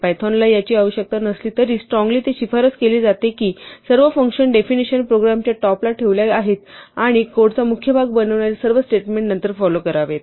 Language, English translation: Marathi, Though it is not required by python as such as, it strongly recommended that all function definition should be put at the top of the program and all the statements that form the main part of the code should follow later